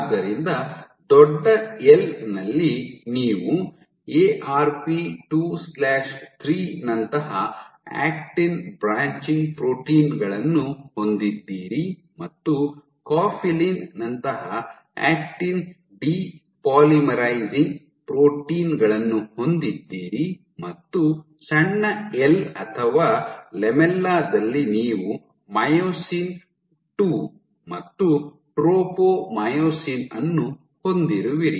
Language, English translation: Kannada, So, in big “L” you have actin branching proteins like Arp 2/3 and actin depolymerizing proteins like cofilin in small “l” or the lamella you have myosin II and tropomyosin, myosin II and tropomyosin localized in this second zone